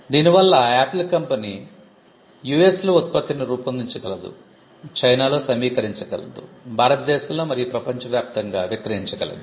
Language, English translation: Telugu, So, Apple is able to design the product in US; assemble it in China; sell it in India and across the world